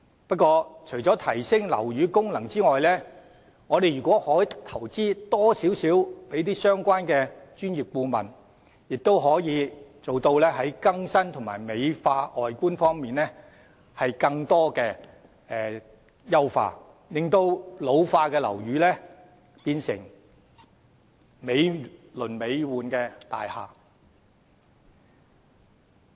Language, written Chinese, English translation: Cantonese, 不過，除了提升樓宇的功能外，如果我們可以在相關的專業顧問方面多作一點投資，亦可更新及美化樓宇外觀，令老化的樓宇變身成為美輪美奐的大廈。, But apart from upgrading the functions of buildings more investment in engaging relevant professional consultancies can also renew and embellish the façade of buildings turning old premises into magnificent buildings